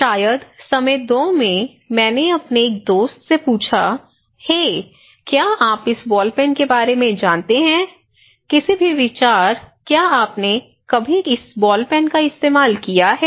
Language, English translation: Hindi, So, maybe in time 2, I asked one of my friend, hey, do you know about this ball pen, any idea, have you ever used this ball pen